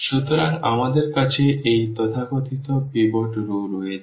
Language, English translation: Bengali, So, we have these so called the pivot rows